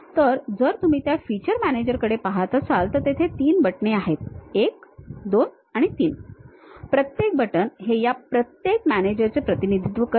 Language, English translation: Marathi, So, if you are looking at that feature manager there are 3 buttons, 1, 2, and 3, each one represents each of these managers